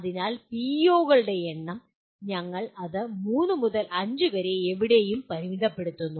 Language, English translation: Malayalam, So the number of PEOs, we limit it to anywhere from three to five